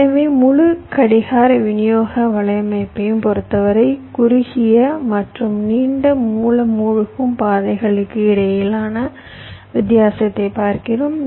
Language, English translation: Tamil, so so here, with respect to the whole clock distribution network, we are looking at the difference between the shortest and the longest source sink paths